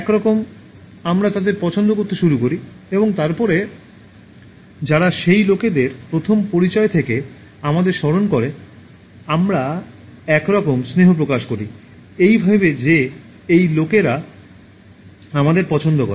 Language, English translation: Bengali, Somehow, we start liking them and then those people who remember us from the first introduction, we somehow develop a kind of affection, thinking that those people like us, so that is a human tendency